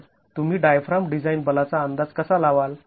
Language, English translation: Marathi, So, how do you estimate the diaphragm design force